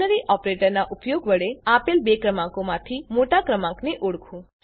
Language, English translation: Gujarati, * Identify the largest number among the two given numbers using Ternary operator